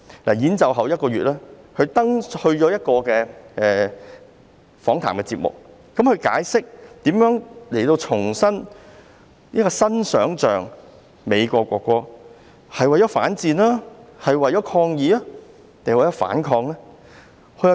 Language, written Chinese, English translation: Cantonese, 在演奏表演一個月後，他出席一個訪談節目，解釋如何創作這首重新想象的美國國歌，究竟是為了反戰、抗議還是反抗？, A month after the performance he attended an interview and explained how he created this version of the American national anthem afresh with imagination . Was it aimed at conveying an anti - war message a protest or resistance? . He said I dont know man